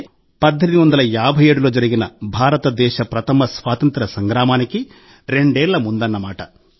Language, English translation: Telugu, This happened in 1855, that is, it happened two years before India’s first war of independence in 1857